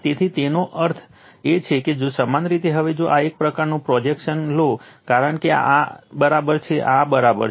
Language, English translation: Gujarati, So, that means if you now if you now take the projection of this one, because this is V p, this is V p